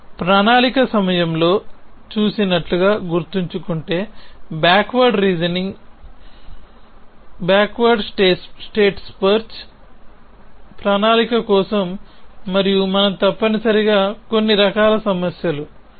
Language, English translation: Telugu, So, if you remember as you saw during planning, backward reasoning, backward state space search for planning and into some kind of problems essentially